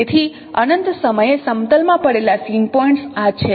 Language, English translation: Gujarati, So this is what same points lying at plane at infinity